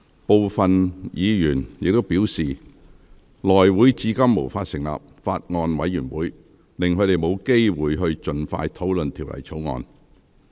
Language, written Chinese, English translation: Cantonese, 部分議員亦表示，內會至今無法成立法案委員會，令他們沒有機會盡快討論《條例草案》。, Some Members also maintained that the inability of the House Committee to establish Bills Committees so far denies them the opportunity to scrutinize the Bill early